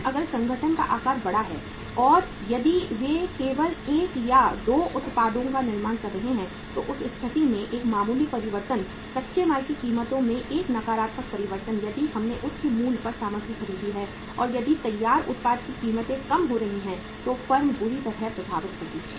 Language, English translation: Hindi, But if the size of the organization is large and if and if they are manufacturing one or two products only, in that case a minor change, a negative change in the prices of the raw material if we have purchased the material at the high price and if the prices of the finished product go down then the firm will be badly hit